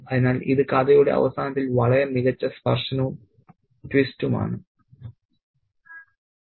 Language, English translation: Malayalam, So, it's a very, very nice touch and twist at the end of the story